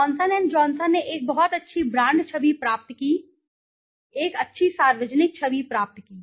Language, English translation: Hindi, Johnson and Johnson gained an immense and very high brand value, a good, nice public image